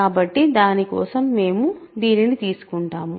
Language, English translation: Telugu, So, for that we consider this